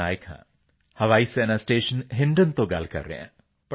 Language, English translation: Punjabi, Speaking from Air Force station Hindon